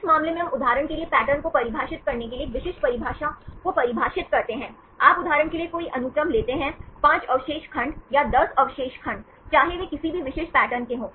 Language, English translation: Hindi, In this case we define a specific definition for defining patterns for example, you take any sequence like for example, 5 residue segments or 10 residue segments whether they posses any specific patterns